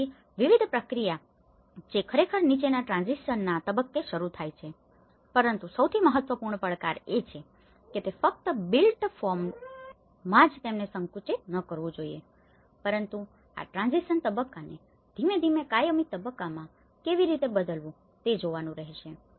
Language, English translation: Gujarati, So, different process which starts actually following the transition stage but the most important challenge is not only about it should not be narrowed them only at the built form but one has to look at how this transition stage has to gradually go into the permanent stage